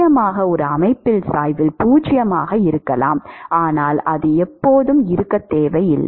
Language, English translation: Tamil, Of course, there can be a system where gradient is 0, but that is not always the case